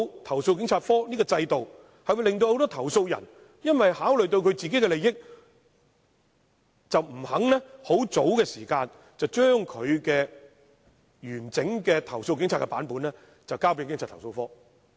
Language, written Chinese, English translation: Cantonese, 投訴警察課的制度會令很多投訴人因為考慮到自己的利益，而不願意及早把他們對警察的投訴的完整版本交給投訴警察課。, The system of CAPO will discourage many complainants from giving CAPO a complete version of their complaints against the Police earlier owing to consideration of their own interests